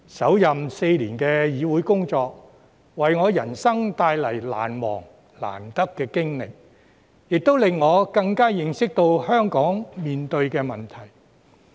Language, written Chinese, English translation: Cantonese, 首任4年的議會工作，為我的人生帶來難忘、難得的經歷，亦令我更加認識香港面對的問題。, My first four - year term of office in this Council has brought me an unforgettable and invaluable experience in life . What is more it has enabled me to have a better understanding of the problems facing Hong Kong